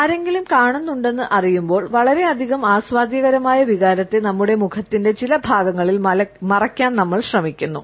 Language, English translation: Malayalam, When we know that somebody is watching, we try to wrap up this emotion of too much of an enjoyment on certain portions of our face